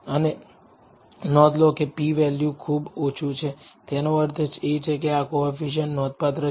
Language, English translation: Gujarati, And notice if the p value is very low it means that this coefficient is significant